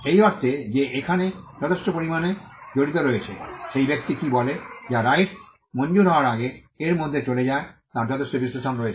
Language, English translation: Bengali, In the sense that there is quite a lot of details involved, there is quite a lot of analysis of what the person says which goes into it before the right is granted